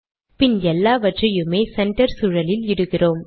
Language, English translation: Tamil, And then we put the whole thing in the center environment